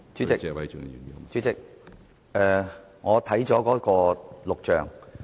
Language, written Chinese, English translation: Cantonese, 主席，我已翻看錄像。, President I have reviewed the video records